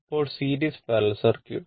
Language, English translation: Malayalam, So, now, series parallel circuit so,